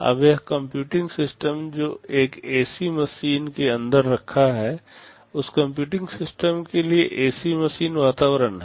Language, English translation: Hindi, Now this computing system that is sitting inside an AC machine, for that computing system the AC machine is the environment